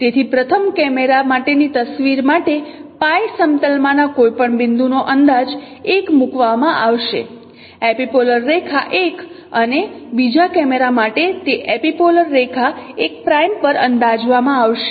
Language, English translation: Gujarati, So any point on plane pi will be projected for image for the first camera will be projected on l, epipolar line L and for the second camera it will be projected on epipolar line L prime